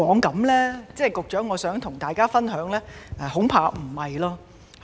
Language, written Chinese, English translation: Cantonese, 局長，我想跟大家分享的是：恐怕並非如此。, Secretary what I want to share here is I am afraid this is not the case